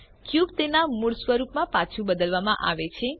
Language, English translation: Gujarati, The cube changes back to its original form